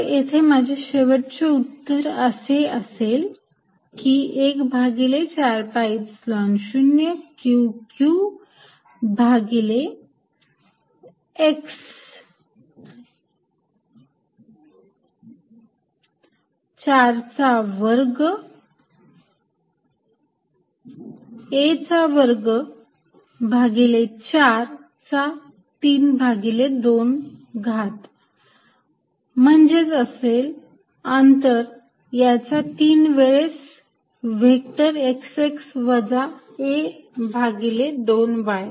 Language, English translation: Marathi, So, that my final answer in this case is, 1 over 4 pi epsilon 0 Q q over x square plus a square by 4, 3 by 2, which is nothing but the distance raise to three times a vector x x minus a by 2 y